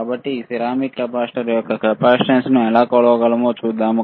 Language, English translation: Telugu, So, let us see how we can measure the capacitance of this ceramic capacitor